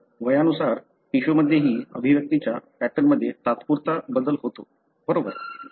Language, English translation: Marathi, So, even in a tissue with age there is a temporal change in the expression pattern, right